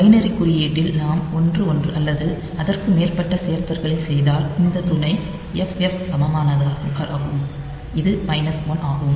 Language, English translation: Tamil, So, in the binary notation if we do the additions 1 1 or so, these the auxiliary single equivalent is FF, which is minus 1